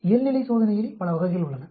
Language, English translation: Tamil, There are many types of normality test